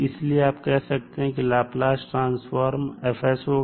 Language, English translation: Hindi, So you will simply say that the Laplace transform of this is s